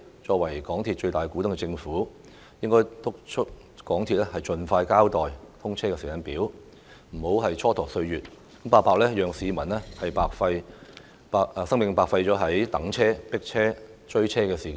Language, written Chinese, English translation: Cantonese, 作為港鐵公司的最大股東，政府應督促港鐵公司盡快交代"通車時間表"，不要蹉跎歲月，讓市民白白將生命浪費於等車、迫車和追車上。, Being the biggest shareholder of MTRCL the Government should urge MTRCL to expeditiously provide a timetable for the commissioning of SCL and stop wasting time so that the public do not have to waste their time for nothing in waiting for trains squeezing into packed trains and catching trains